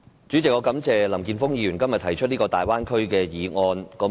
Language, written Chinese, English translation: Cantonese, 主席，我感謝林健鋒議員今天提出這項有關大灣區的議案。, President I thank Mr Jeffrey LAM for moving this motion on the Guangdong - Hong Kong - Macao Bay Area today